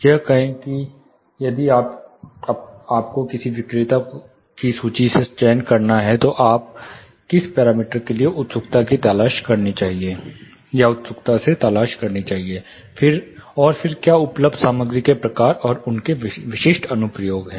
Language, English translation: Hindi, Say if you have to select from a list from a seller, what parameter you should be keenly looking for and then what are the types of materials available and their specific applications